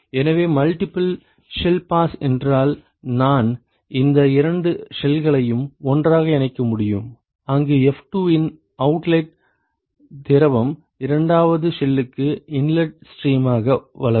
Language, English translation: Tamil, So, multiple shell pass would be that I could join these two shells together where the outlet fluid of f2 grows as an inlet stream to the second shell